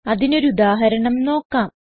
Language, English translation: Malayalam, We can see such an example here